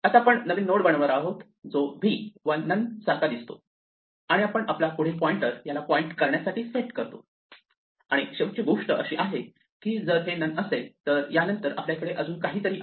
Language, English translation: Marathi, We would now create a new node which looks like v and none and we will set our next pointer to point to it and the final thing is that if it is not none then we have something else after us